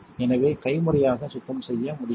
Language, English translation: Tamil, So, can we clean manually